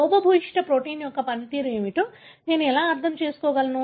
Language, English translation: Telugu, So, how would I even understand what is the function of a defective protein